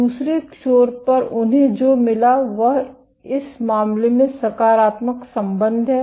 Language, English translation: Hindi, At the other edge what they found this is positive correlation in this case